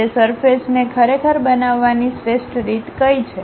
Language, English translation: Gujarati, What is the best way I can really construct that surface